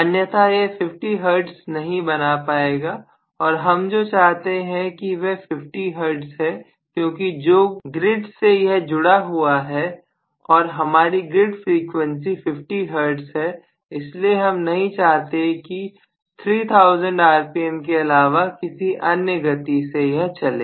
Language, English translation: Hindi, Otherwise it will not be able to create 50 hertz and what we want is 50 hertz because which is connected to the grid and our grid frequency is 50 hertz so we do not want it to run at any other speed other than 3000 rpm